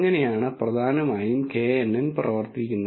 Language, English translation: Malayalam, That is how essentially the knn works